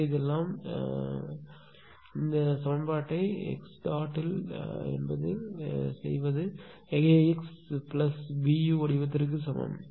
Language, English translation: Tamil, So, this is all this thing after that we have to put this equation in x dot is equal to x plus B u form right